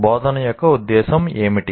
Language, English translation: Telugu, And what is the purpose of instruction